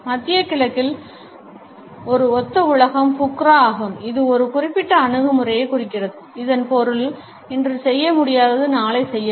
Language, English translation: Tamil, In the Middle East a synonymous world is Bukra which indicates a particular attitude, it means that what cannot be done today would be done tomorrow